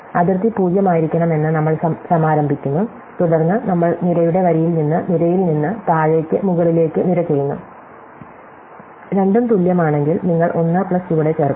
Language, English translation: Malayalam, So, we initialize the boundary to be 0, and then we do column by column row by row from bottom to top, if the two are equal, then you add 1 plus the value of bottom